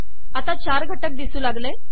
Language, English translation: Marathi, So I have four components